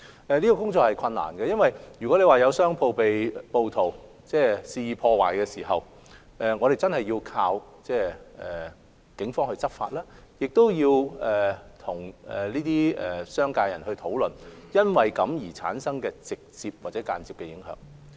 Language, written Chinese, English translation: Cantonese, 這項工作是困難的，因為如有商鋪被暴徒肆意破壞，我們真的有賴警方執法，亦要與商界人士討論因此而產生的直接或間接影響。, This is a difficult task because if shops are wantonly vandalized by rioters we really have to rely on the Police to take law enforcement actions and we must discuss with the business sector on the direct or indirect impact caused by such incidents